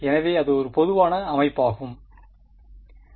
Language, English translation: Tamil, So, that was the general setup